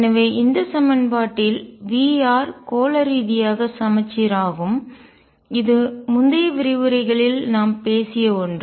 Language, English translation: Tamil, So, in this equation v r is spherically symmetric, and this is something that we have talked about in the previous lectures